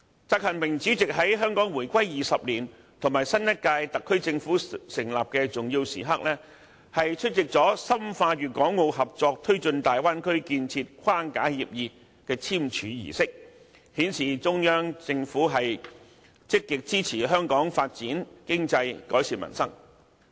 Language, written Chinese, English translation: Cantonese, 習近平主席在香港回歸20年及新一屆特區政府成立的重要時刻，出席了《深化粵港澳合作推進大灣區建設框架協議》的簽署儀式，顯示中央政府積極支持香港發展經濟，改善民生。, President XI Jinping attended the signing ceremony of the Framework Agreement on Deepening Guangdong - Hong Kong - Macao Cooperation in the Development of the Bay Area on the important occasion of the 20 anniversary of Hong Kongs reunification and the establishment of the new term of the SAR Government showing the Central Governments solid support for Hong Kongs efforts in fostering economic development and improving peoples livelihood